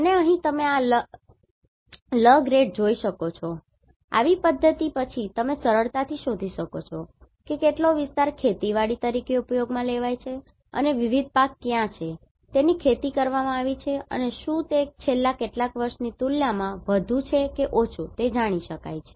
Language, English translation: Gujarati, And here you can see this Lrgrnd, following such methodology you can easily find out how much area has been used as agriculture and what are the different crops have been cultivated and whether it is more or less compared to last few years right